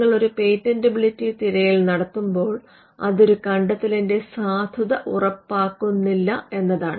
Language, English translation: Malayalam, When you do a patentability search, when you do a search, it does not guarantee or it does not warrant the validity of an invention